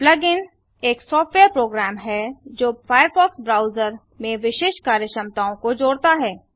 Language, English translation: Hindi, A plug in is a software program that, adds a specific functionality to the firefox browser However, plug ins different from extensions